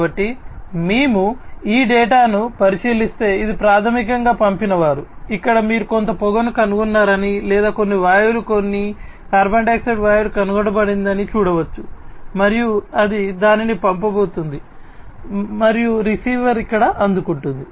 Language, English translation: Telugu, So, if we look at this data this is basically the sender as you can see over here you know he detected some smoke or whatever some gases some carbon monoxide gas etc etc was detected and then it is sending it and the receiver is receiving over here